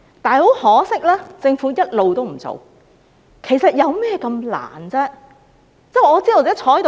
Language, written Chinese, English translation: Cantonese, 然而，很可惜，政府一直也不做，其實有何困難呢？, Yet regrettably the Government has not taken any action . How difficult is it?